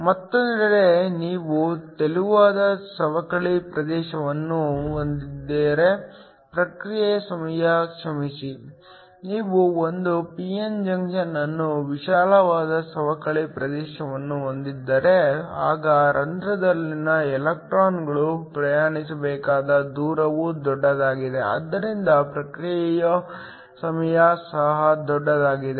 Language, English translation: Kannada, On the other hand, if you have a thin depletion region, the response time is I am sorry, if you have a p n junction with a wide depletion region then the distance the electrons in holes have to travel is large, so that the response time is also large